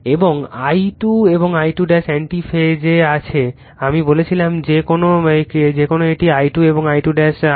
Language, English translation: Bengali, And I 2 and I 2 dash are in anti phase I told you that is why this is I 2 and this is your I 2 dash